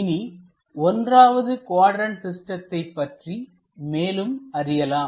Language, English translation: Tamil, So, let us learn more about this 1st quadrant system